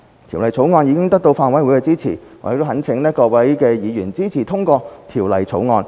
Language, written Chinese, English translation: Cantonese, 《條例草案》已得到法案委員會的支持，我懇請各位議員支持通過《條例草案》。, The Bill has already received support from the Bills Committee . I implore Members to support the passage of the Bill